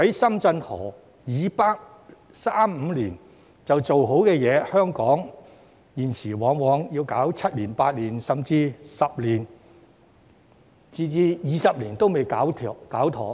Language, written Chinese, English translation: Cantonese, 深圳河以北可三五年就完成的建設，香港現時往往需時七八年，甚至十多二十年仍未完成。, Development project to the north of Shenzhen River which can be completed in three to five years will probably take Hong Kong seven to eight years or even 10 to 20 years to complete